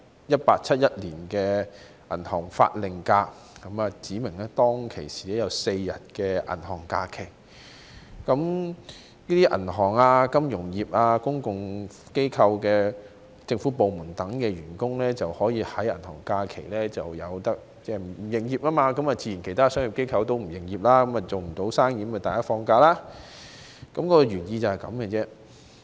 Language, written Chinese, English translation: Cantonese, 《1871年銀行假期法令》指明有4天銀行假期，銀行、金融業、公共機構及政府部門等在銀行假期不會營業，其他商業機構自然也不會營業，無法做生意，於是所有員工放假，這就是原意。, The Bank Holidays Act 1871 specified four days as bank holidays during which banks the financial sector public bodies and government departments were closed for business . Naturally other commercial organizations followed suit . Since there was no business all of their employees had days off and that was the legislative intent